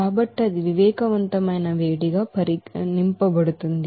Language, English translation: Telugu, So that will be regarded as sensible heat